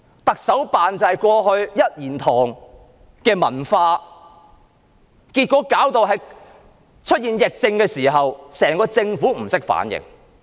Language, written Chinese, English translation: Cantonese, 特首辦的一言堂文化導致出現疫症時，整個政府不懂得反應。, As one person alone has the say is the culture of the Chief Executives Office the entire Government did not know how to respond to the emergence of the epidemic